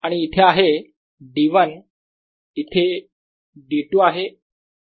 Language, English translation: Marathi, where the d two here